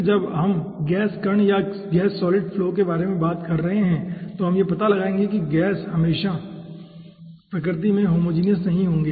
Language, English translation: Hindi, okay then, as we are talking about gas particle or gas solid flow, we will be finding out particles will not be always homogenous in nature